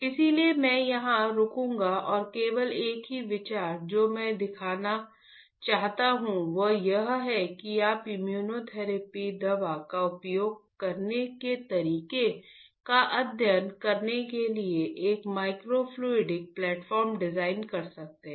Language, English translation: Hindi, So, I will stop here and the only idea that I wanted to show is that you can design a microfluidic platform to study how to use this immunotherapy drug